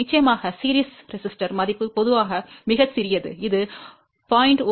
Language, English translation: Tamil, Of course, series resistors value is generally very small that can be maybe 0